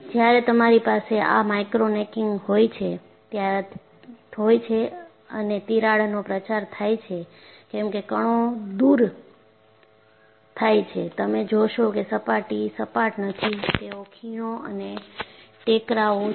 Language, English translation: Gujarati, And you see, when you have this micro necking followed by crack propagation, because you have particles are removed, you find the surface is not smooth, it has valleys and mounts